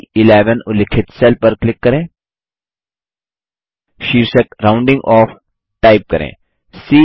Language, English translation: Hindi, Now, click on the cell referenced as B11 and type the heading ROUNDING OFF